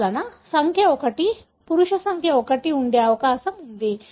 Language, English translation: Telugu, Therefore, number 1, the male number 1 is likely to be